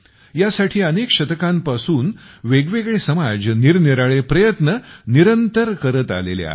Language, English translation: Marathi, For this, different societies have madevarious efforts continuously for centuries